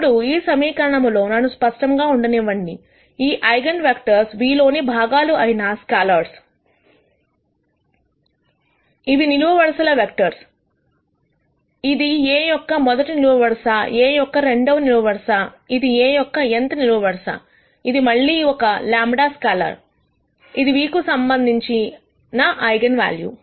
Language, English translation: Telugu, Now in this equation, let me be very clear; these are scalars which are components in the eigenvector nu; these are column vectors; this is a rst column of A, second column of A, this is nth column of A, this is again a scalar lambda; which is the eigenvalue corresponding to nu